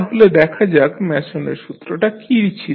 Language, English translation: Bengali, So, let us see what was the Mason’s rule